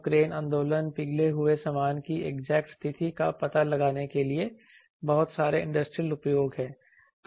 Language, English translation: Hindi, So, various lot also lot of industrial uses to find out the crane movement, exact position of the molten stuff